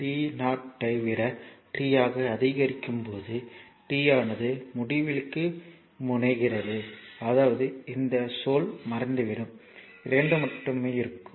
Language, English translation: Tamil, When here when t is your increasing like t greater than 0 and t is increasing say t tends to infinity right so; that means, this term will vanish only 2 will be there